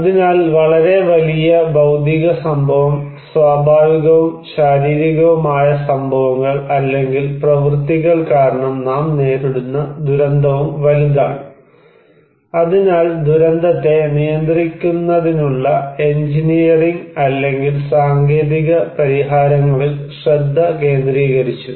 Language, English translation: Malayalam, So, as simple the bigger the physical event, the bigger the disaster and the disaster we are facing because of natural and physical events or acts, so it was the focus was much on engineering or technocratic solutions to manage disaster